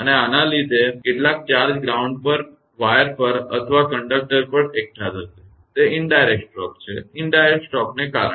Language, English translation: Gujarati, And due to this some charge will be accumulated on the ground wire or on the conductor; those are indirect stroke; due to indirect stroke